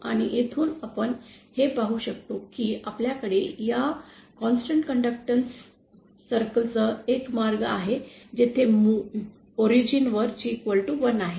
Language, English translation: Marathi, And from here we see that we can also, we have a path along this constant conductance circle where G equal to 1 to the origin